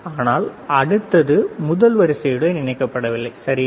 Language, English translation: Tamil, But the next one is not connected with the first one, all right